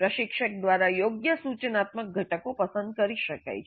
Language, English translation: Gujarati, Suitable instructional components can be picked up by the instructor